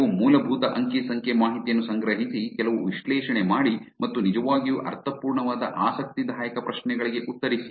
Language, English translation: Kannada, Take it a network collect some basic data, do some analysis and answer interesting questions that actually makes sense